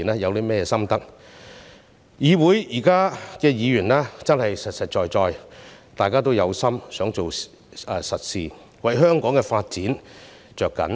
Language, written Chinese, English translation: Cantonese, 現時議會的議員真的實實在在，大家都有心想做實事，為香港的發展着緊。, At present the Members in this Council are working genuinely . Everyone wants to do practical things and bears the development of Hong Kong in mind